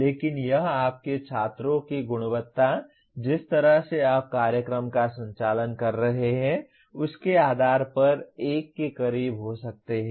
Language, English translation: Hindi, But it can be as close as to 1 depending on the quality of your students, the way you are conducting the program and so on